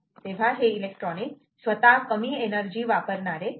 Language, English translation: Marathi, so the electronic itself should be least energy consuming